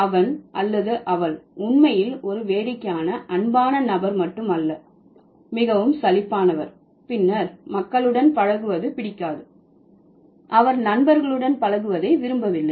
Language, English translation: Tamil, It's not really a fun loving person, quite boring and then doesn't like to socialize with people, doesn't like to be found with the friends